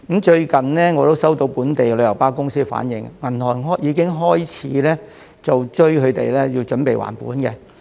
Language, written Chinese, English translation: Cantonese, 最近我也接獲本地旅遊巴公司反映，銀行已經開始要求他們準備還本。, Recently I have also received reports from local tour coach companies that the banks have already begun to ask them to prepare for repayment of the principal